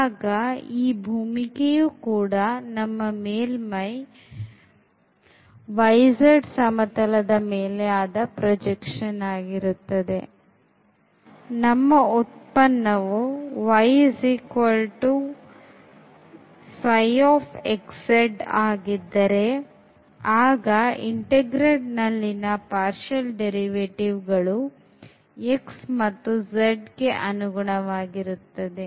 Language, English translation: Kannada, And, this domain will be the projection of the surface in the y z plane and in the case when the function is given by y is equal to psi x z; the integrand will have the derivatives with respect to x and z